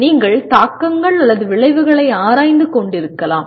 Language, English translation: Tamil, You may be exploring the implications or consequences